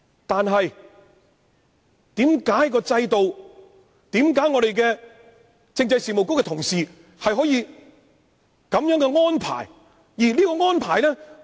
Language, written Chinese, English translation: Cantonese, 但是，為何在制度上，政制及內地事務局的同事可以作出這樣的安排？, Nevertheless why is it possible under the present system for the staff in the Constitutional and Mainland Affairs Bureau to make such an arrangement?